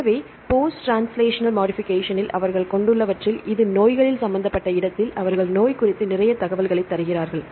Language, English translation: Tamil, So, where they have the post translational modifications; then where this is involved in diseases right they give a lot of information regarding the disease